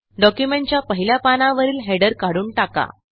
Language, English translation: Marathi, Remove the header from the first page of the document